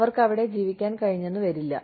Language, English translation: Malayalam, They may not be able to live there